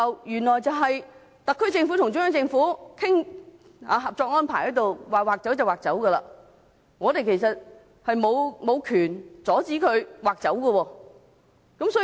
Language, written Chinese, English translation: Cantonese, 原來特區政府和中央政府討論《合作安排》時，說劃出便劃出，我們沒有權阻止政府這樣做。, In fact the decision was made during the discussion on the Co - operation Arrangement between the HKSAR Government and the Central Government and we have no power to stop the Government from doing so